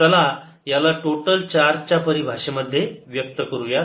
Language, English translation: Marathi, lets express this in terms of the total charge